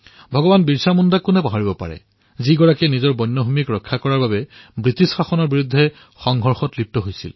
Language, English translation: Assamese, Who can forget BhagwanBirsaMunda who struggled hard against the British Empire to save their own forest land